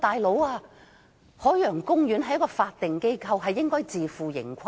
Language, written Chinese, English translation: Cantonese, "老兄"，海洋公園是法定機構，應該自負盈虧。, Buddy the Ocean Park is a statutory organization and should be self - financed